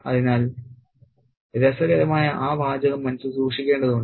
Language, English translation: Malayalam, So, that interesting phrase need to be kept in mind